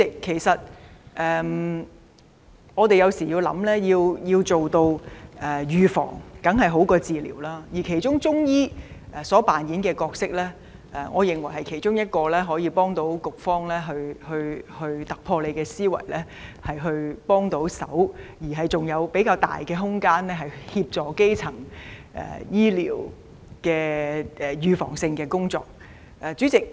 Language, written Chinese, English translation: Cantonese, 主席，我們也知道預防當然勝於治療，而其中一個可行方案是加強中醫扮演的角色。我認為這不但能有助局方突破思維，提供協助，並且有較大空間協助進行基層醫療的預防性工作。, President we all know that prevention is definitely better than cure and strengthening the role played by Chinese medicine is one of the possible options which in my opinion will not only help the Food and Health Bureau have a breakthrough in thinking but also allow more room for the promotion of preventive primary healthcare